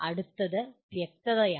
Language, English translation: Malayalam, Then the next one is “clarity”